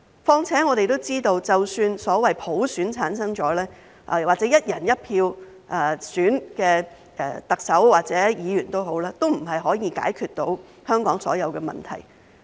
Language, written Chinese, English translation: Cantonese, 況且我們都知道，即使所謂普選產生或"一人一票"選出的特首或議員，都不能夠解決香港所有的問題。, Moreover we all know that even if the Chief Executive or Members are elected by universal suffrage or by one person one vote they cannot solve all the problems in Hong Kong